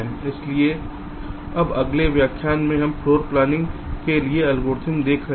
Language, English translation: Hindi, so now, next lecture, we shall be looking at the algorithms for floor planning